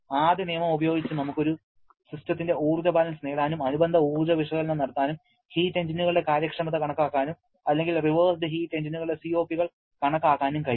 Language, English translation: Malayalam, Using first law, we can get an energy balance of a system and can perform corresponding energy analysis, calculate the efficiency of heat engines or COP’s of reversed heat engines